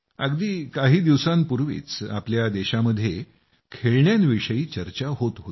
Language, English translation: Marathi, Just a few days ago, toys in our country were being discussed